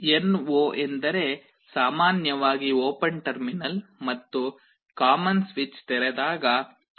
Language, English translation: Kannada, NO means normally open terminal and common are normally open internally, when this switch is open